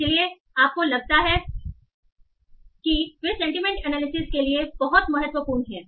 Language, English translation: Hindi, So these sentiments can also be explored by using sentiment analysis